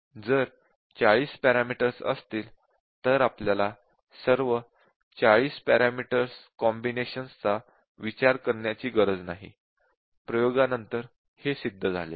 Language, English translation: Marathi, We do not have to if their 40 parameters do not have to consider all 40, experimentally it has been shown